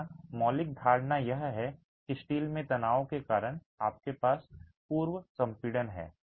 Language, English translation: Hindi, The fundamental notion here is you have pre compression due to the tensioning in the steel